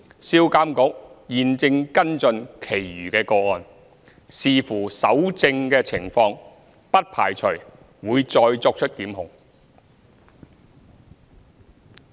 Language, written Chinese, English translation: Cantonese, 銷監局現正跟進其餘個案，視乎搜證情況，不排除會再作出檢控。, SRPA is taking follow - up action on the rest of the cases . SRPA does not rule out the possibility of further prosecution action subject to evidence available